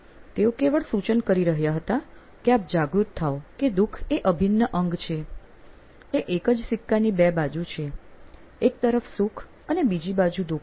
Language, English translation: Gujarati, He was merely suggesting you to be aware that suffering is part and parcel and it is two sides of the same coin; happiness on one side and suffering on the other